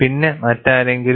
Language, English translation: Malayalam, And anyone else